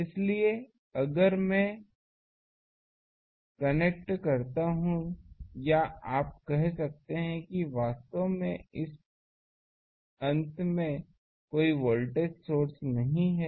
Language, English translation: Hindi, So, if I connect or you can say that actually in this end, there is no voltage source